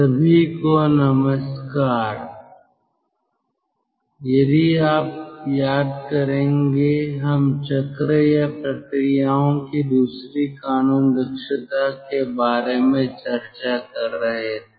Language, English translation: Hindi, ah, if you recall, we were discussing regarding second law efficiency of cycles or processes